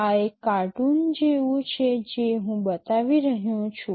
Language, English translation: Gujarati, This is just like a cartoon I am showing